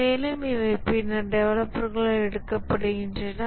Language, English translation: Tamil, And these are taken up later by the developers